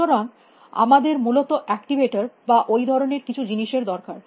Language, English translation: Bengali, So, we need activators and things like that at that time essentially